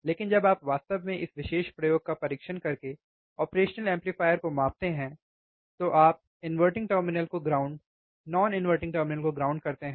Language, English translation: Hindi, But when you actually measure the operational amplifier by testing this particular experiment, that is you keep inverting terminal ground, non inverting terminal ground